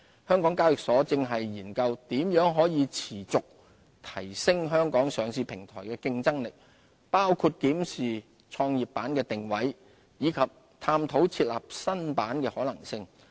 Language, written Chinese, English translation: Cantonese, 香港交易所現正研究如何持續提升香港上市平台的競爭力，包括檢視創業板的定位，以及探討設立新板的可能性。, HKEx is studying ways to continuously enhance the competitiveness of the listing platform in Hong Kong . They include a review of the positioning of GEM and an assessment of the feasibility of introducing a new board